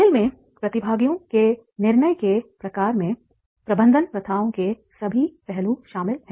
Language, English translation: Hindi, The types of decisions that participants make in games include all aspects of management practices